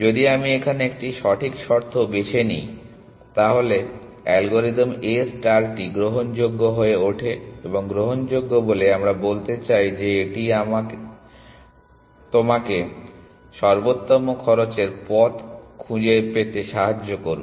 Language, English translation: Bengali, That if I choose a right condition here, then the algorithm A star becomes admissible and by admissible we mean it will find you the optimal cost path essentially